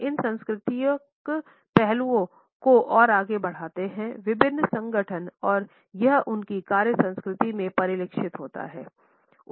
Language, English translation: Hindi, These cultural aspects percolate further into different organizations and it is reflected in their work culture